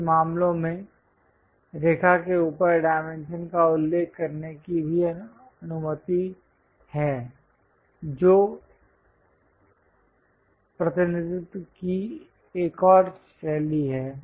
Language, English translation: Hindi, In certain cases, it is also allowed to mention dimension above the line that is another style of representing